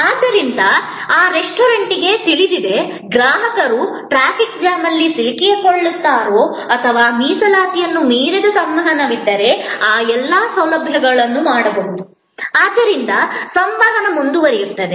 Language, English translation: Kannada, So, that restaurant knows, whether the customer is caught in a traffic jam or the, all these facilities can be done if there is an interaction beyond reservation, so the communication continues